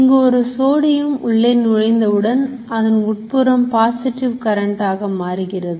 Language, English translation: Tamil, One sodium flows in, what starts happening is that inside starts becoming positive